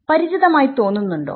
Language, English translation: Malayalam, Does it look familiar